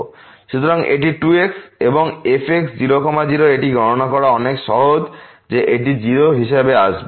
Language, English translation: Bengali, So, this is 2 times and it is much easier to compute that this will come as 0